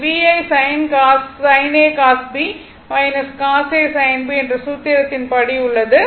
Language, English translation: Tamil, So, it is VI sin a cos b minus cos a sin b formula